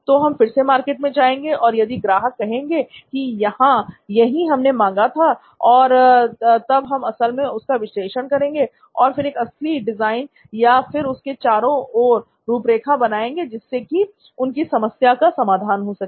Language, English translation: Hindi, So we again go back to the market and if market says yes this is what we asked for, now we are going to actually analyse and we are going to make a proper design or an outline around it and make it a solution to their problem